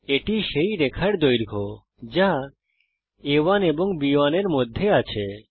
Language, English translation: Bengali, this is the length of the line which is between A1 and B1